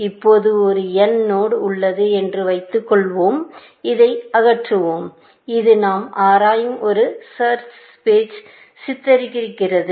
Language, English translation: Tamil, Now, let us assume that there is a node n which, let us remove this, that depicts a search space that we are exploring